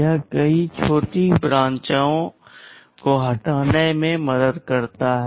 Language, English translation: Hindi, This helps in removing many short branches